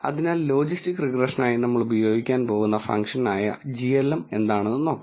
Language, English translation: Malayalam, So, now let us look at the function glm which we are going to use for logistic regression